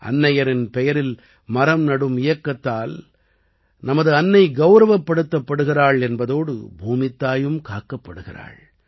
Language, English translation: Tamil, The campaign to plant trees in the name of mother will not only honor our mother, but will also protect Mother Earth